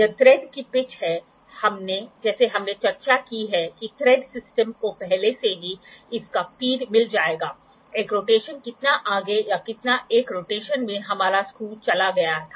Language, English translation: Hindi, So, pitch is in one rotation it is the pitch of thread like we have discussed the thread system will already get the feed of that, one rotation how much forward or how much had our screw goes in one rotation